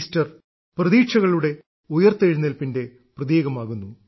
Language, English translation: Malayalam, Easter is a symbol of the resurrection of expectations